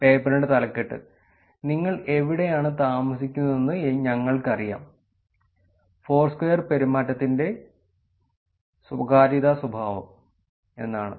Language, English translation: Malayalam, The title of the paper is ‘We Know Where You Live: Privacy Characterization of Foursquare behavior’